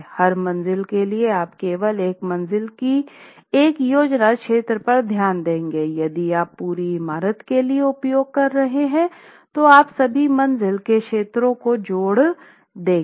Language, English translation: Hindi, Floor wise you will use only a plan area of a floor if it is, if you are using for the entire building then you would add up all the floor areas